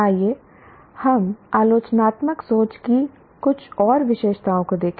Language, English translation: Hindi, Let us look at some more features of critical